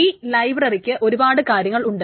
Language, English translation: Malayalam, The library is one big chunk